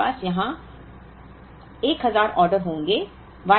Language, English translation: Hindi, So, we will have 1000 ordered here